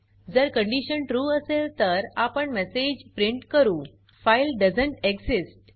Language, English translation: Marathi, If the condition is true, then we print the message: File doesnt exist